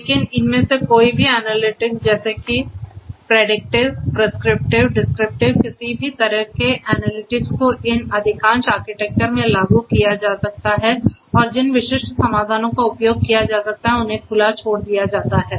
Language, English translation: Hindi, But any of these analytics like the predictive, prescriptive, descriptive any kind of analytics could be implemented in most of these architectures and the specific solutions that could be used are left open